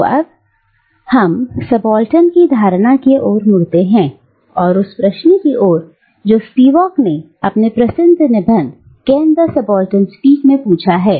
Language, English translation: Hindi, So, let us now turn to the notion of the subaltern and to the question that Spivak so famously asks in the title of her essay, "Can the Subaltern Speak"